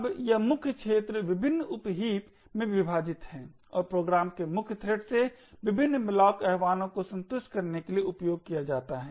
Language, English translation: Hindi, Now this main arena is split into various sub heaps and used to satisfy various malloc invocations from the main thread of the program